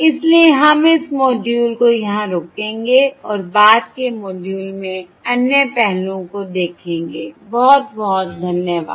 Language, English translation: Hindi, So we will stop this module here and look at other aspects in subsequent module